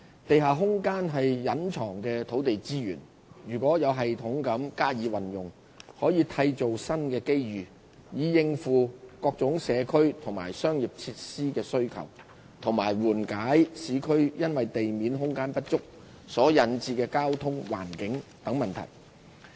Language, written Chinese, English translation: Cantonese, 地下空間是隱藏的土地資源，如能有系統地加以運用，可締造新的機遇，以應付各種社區及商業設施需求及緩解市區因地面空間不足所引致的交通、環境等問題。, Underground space is a hidden land resource . If we can use it systematically it can bring new opportunities to meet various needs of social and commercial facilities as well as to address various issues including traffic environmental and so on due to inadequate at - grade space in urban areas